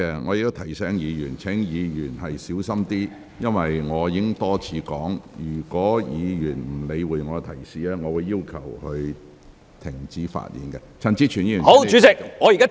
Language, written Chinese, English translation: Cantonese, 我再次提醒議員要小心發言，因為我已多次表示，如果議員不理會我的提示，我會要求相關議員停止發言。, I remind Members once again to be careful when they speak because I have already said many times that if any Member pays no heed to my reminder I will order the Member concerned to stop speaking